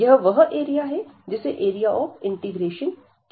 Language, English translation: Hindi, So, this is the area which we call the area of integration